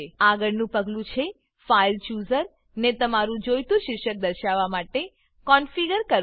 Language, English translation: Gujarati, The next step is to configure the File Chooser to display the title that you want